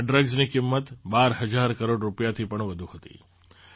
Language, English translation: Gujarati, The cost of these drugs was more than Rs 12,000 crore